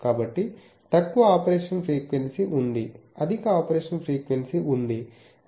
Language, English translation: Telugu, So, there is a low frequency of operation, there is a high frequency of operation